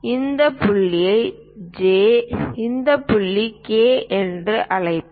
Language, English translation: Tamil, Let us call this point J, this point K